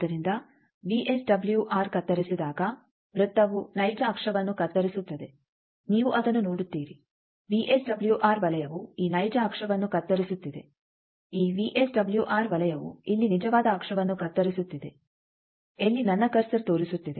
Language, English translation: Kannada, So, when VSWR cuts, circle cuts real axis as you see this VSWR circle is cutting this real axis this, VSWR circle is cutting the real axis here, where my cursor is showing